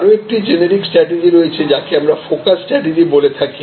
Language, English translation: Bengali, Now, there is another generic strategy which we call the focus strategy